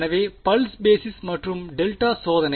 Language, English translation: Tamil, So, pulse basis and delta testing